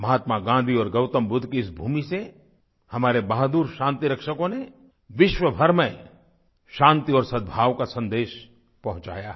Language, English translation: Hindi, The brave peacekeepers from this land of Mahatma Gandhi and Gautam Budha have sent a message of peace and amity around the world